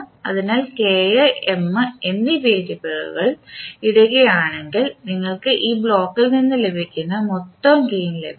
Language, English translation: Malayalam, So, if you put the variables of K and M you will get the total gain which you will get from this block